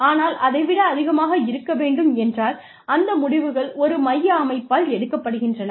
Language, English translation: Tamil, But, decisions, any higher than that, are made by a central organization